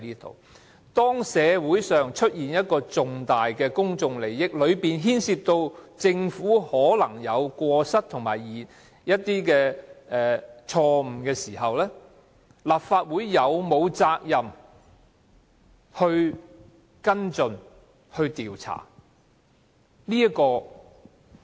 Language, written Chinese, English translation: Cantonese, 當社會上出現涉及重大公眾利益的事件，而當中可能牽涉政府有過失和犯錯的時候，立法會是否有責任跟進和調查？, Is the Legislative Council duty - bound to take follow - up actions and conduct investigations into incidents involving significant public interest and possibly involving wrongdoings and blunders on the part of the Government?